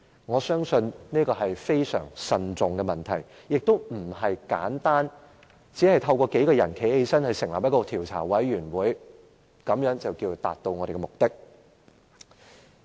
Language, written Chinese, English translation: Cantonese, 我相信這是一個要非常慎重地考慮的問題，也不是簡單地由數位議員站立支持成立一個調查委員會，便可以以達到的目的。, I think this is an issue which should be considered with extreme caution . Yet this purpose cannot be achieved by the forming of an investigation committee which is supported by the rising of a few Members at the meeting